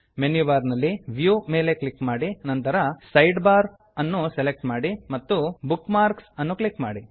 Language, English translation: Kannada, From Menu bar, click View, select Sidebar, and then click on Bookmarks